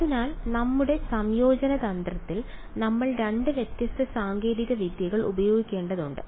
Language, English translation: Malayalam, So, therefore, in our integration strategy we have to use 2 different techniques